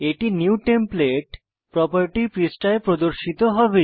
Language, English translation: Bengali, It will be displayed on the New template property page